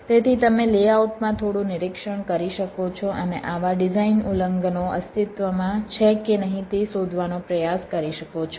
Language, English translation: Gujarati, so you can have some inspection in the layout and try to find out whether such design violations do exists or not